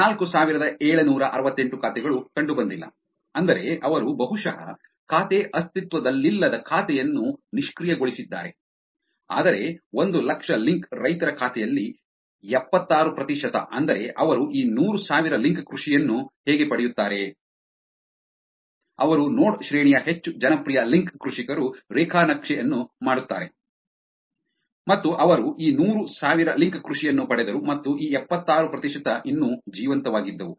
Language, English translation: Kannada, 4768 accounts were not found which is that they probably deactivated the account the account does not exist, whereas, 76 percent of the account of 100,000 link farmers which is, how do they get this hundred thousand link farmers; they do the graph of node rank, they do the graph of what, who were the most popular link farmers and they got this hundred thousand link farmers and of this 76 percent were still alive